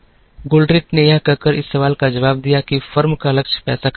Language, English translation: Hindi, Goldratt answered this question by saying that; the goal of the firm is to make money